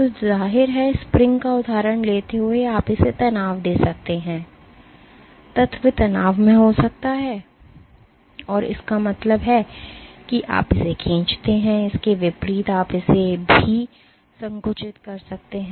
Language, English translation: Hindi, So, of course, taking the example of the spring you can exert something, you can tense it, or you can the element can be under tension, that means, you stretch it, in contrast to it you can compress it also